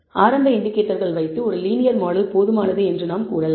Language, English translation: Tamil, And so, we can say the initial indicators are that a linear model is adequate